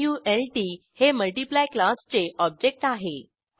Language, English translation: Marathi, mult object of class Multiply